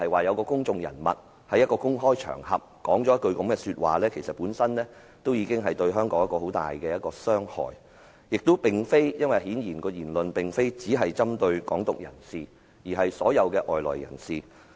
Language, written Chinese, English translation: Cantonese, 有公眾人物在香港的公開場合說出這樣一句話，這對香港本身而言已會造成極大傷害，更何況其言論顯然不單針對"港獨"人士，而是所有外來人士。, A public figure has said such words on a public occasion in Hong Kong which may have already caused great harm to Hong Kong itself . Even worse was that his speech apparently pinpointed not only at the Hong Kong independence advocates but all foreigners